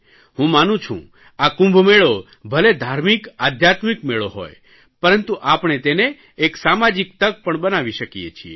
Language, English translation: Gujarati, I believe that even if the Kumbh Mela is a religious and spiritual occasion, we can turn it into a social occasion